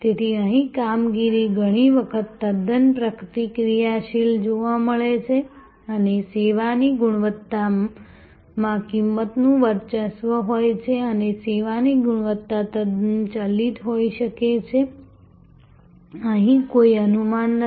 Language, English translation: Gujarati, So, here operation is often found to be quite reactive and service quality is dominated by cost and service quality can be quite variable, there is no predictability here